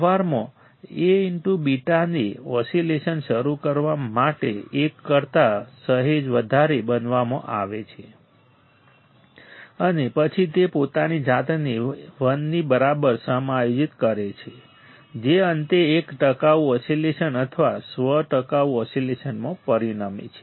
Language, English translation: Gujarati, In practice, A beta is made slightly greater than one to start the oscillation and then it adjusted itself to equal to 1, finally resulting in a sustained oscillation or self sustained oscillation right